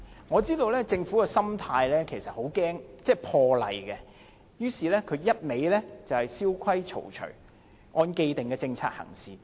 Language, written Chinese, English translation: Cantonese, 我知道政府的心態是很害怕破例，於是只管蕭規曹隨，按既定政策行事。, I understand that the mentality of the Government is its fear of breaking the rules so it merely follows established rules and conducts its business according to set policies